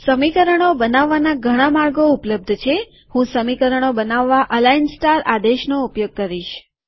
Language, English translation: Gujarati, There are many ways to create equations, I will use the command align star to create equations